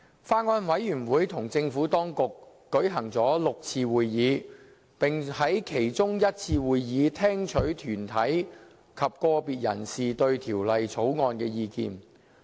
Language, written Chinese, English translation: Cantonese, 法案委員會與政府當局舉行了6次會議，並在其中一次會議，聽取團體及個別人士對《條例草案》的意見。, The Bills Committee held six meetings with the Administration and received views from deputations and individuals on the Bill at one of these meetings